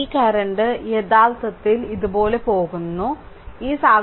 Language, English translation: Malayalam, So, this current actually and this current is going like this and this one going like this right